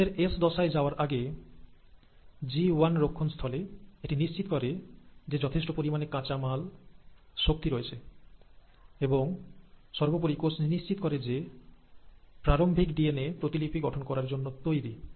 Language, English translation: Bengali, Before the cell commits to enter into S phase, and in this G1 checkpoint, it will make sure that there is sufficient raw material, there is sufficient energy and most importantly, the cell will make sure that the initial DNA that it's going to duplicate